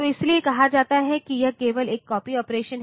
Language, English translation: Hindi, So, that is why it is said that it is simply a copy operation